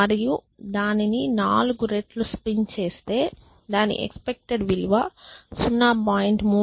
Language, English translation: Telugu, 08 and if I spin it 4 times my expected value is 0